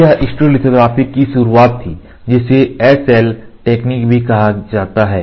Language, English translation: Hindi, This was the beginning of stereolithography which is otherwise called as SL technology